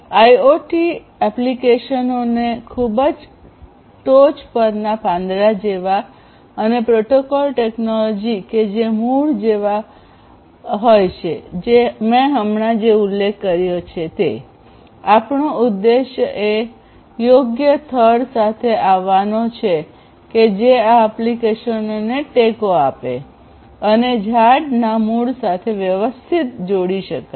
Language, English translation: Gujarati, So, considering the IoT applications on the very top and the roots like the ones the technologies this protocols that I just mentioned; the objective is to come up with a suitable trunk that will support these applications and we will connect with the roots of the tree